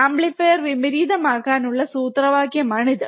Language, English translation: Malayalam, This is this was the formula for inverting amplifier right